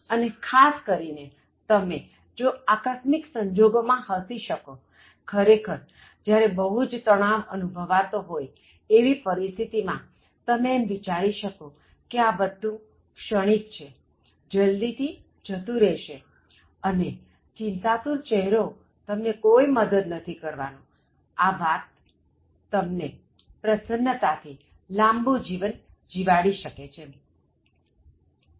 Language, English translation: Gujarati, And especially, if you are able to laugh at unforeseen circumstances, which normally causes stress, but if you are able to laugh at even those situations, thinking that they are temporary and they will leave you soon, and putting a very worried face is not going to help you much, so that will make you live longer and especially in a very cheerful manner